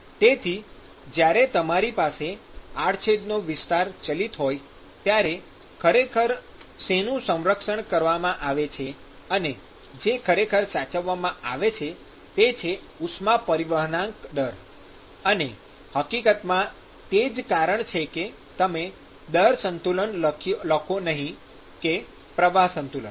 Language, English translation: Gujarati, So, when you have varying cross sectional area, what is really conserved and what is really preserved is the heat transfer rate and in fact that is the reason why you write a rate balance and not a flux balance